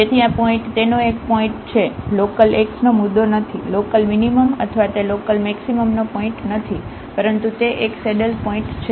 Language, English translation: Gujarati, So, this point is a point of it is not a point of local x, local minimum or it is not a point of local maximum, but it is a saddle point